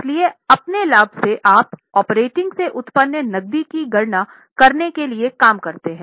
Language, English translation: Hindi, That is why from your profit you work back to calculate the cash generated from operating